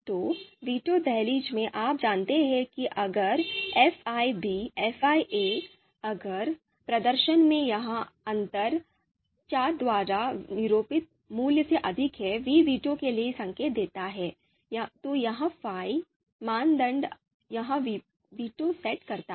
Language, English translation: Hindi, So in the in the veto threshold you know if fi b and minus fi a, if this difference in performance is higher than this value, then you know and this value is denoted by vi, v indicating for veto, then this fi the criterion this sets its veto